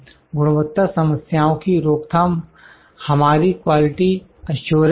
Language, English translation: Hindi, To prevention of the quality problems is our quality assurance